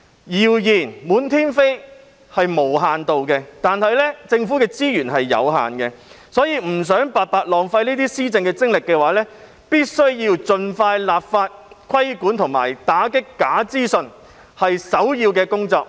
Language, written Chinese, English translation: Cantonese, 謠言滿天飛，這情況是無限度的，但政府的資源是有限的，所以，若不想白白浪費施政精力的話，政府必須盡快立法規管和打擊假資訊。這是首要的工作。, While rumours can be spread boundlessly the resources of the Government are limited . So if the Government wants to stop wasting the effort meant for exercising governance it should expeditiously enact legislation for regulating and combating misinformation and make it the top priority